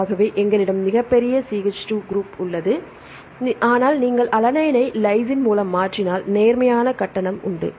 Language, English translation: Tamil, So, we have the bulkier group, but if you replace alanine by lysine there is a positive charge